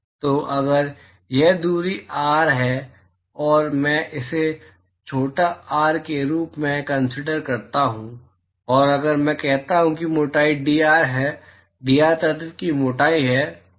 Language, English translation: Hindi, So, if this distance is R and I refer this as small r and if I say that the thickness is dr; dr is the thickness of the element